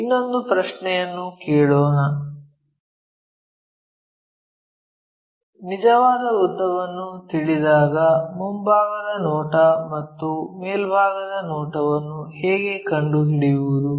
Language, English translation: Kannada, Let us ask another question, when true length is known how to locate front view and top view